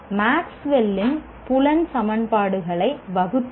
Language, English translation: Tamil, State Maxwell's field equations